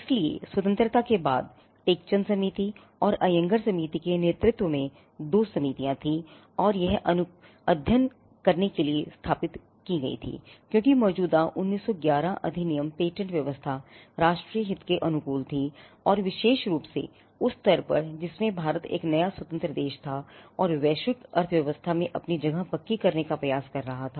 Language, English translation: Hindi, So, post Independence, there were two committees led by experts the Tek Chand committee and the Ayyangar committee which were established to study whether the existing patent regime which was a 1911 Act suited the national interest and more particularly at the stage in which India was a newly independent country and trying to make it is place firm in the global economy and it was found by both the committees that the patent act as it existed does not favor, local and national development